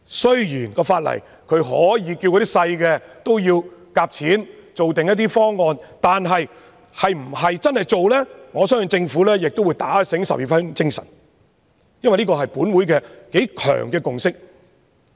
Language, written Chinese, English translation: Cantonese, 雖然法例訂明，可以要求小型銀行推行集資的方案，但是否真正落實，我相信政府也會打醒十二分精神，因為這是本會頗強烈的共識。, Although it is stipulated in law that small banks can be required to implement fund - raising schemes I believe the Government will also be especially mindful of this strong consensus of the Council when it considers whether or not to really impose such requirement